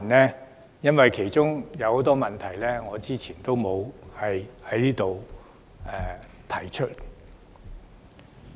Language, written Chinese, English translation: Cantonese, 這是因為有很多問題我之前沒有在此提出。, This is because there are many questions that I have not raised previously